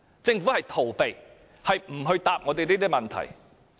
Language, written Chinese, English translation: Cantonese, 政府逃避回答我們這些問題。, The Government simply avoids our question in this regards